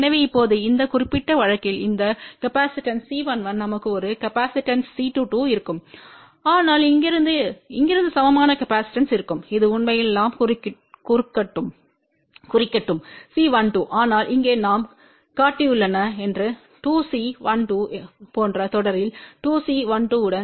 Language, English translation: Tamil, So, now in this particular case we will have this capacitance C 1 1 we will have a capacitance C 2 2 , but from here to here there will be equivalent capacitance which is actually let us denote as C 1 2 , but here we have shown that as 2 C 1 2 in series with 2 C 1 2